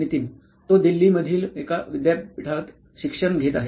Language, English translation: Marathi, He is studying at a university in Delhi, India